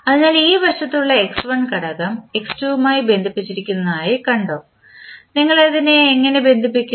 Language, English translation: Malayalam, So, if you see the component at this side x2 is connected with x1 how you are connecting